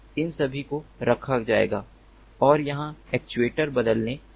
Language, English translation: Hindi, these are all going to be placed and where the actuators are going to replace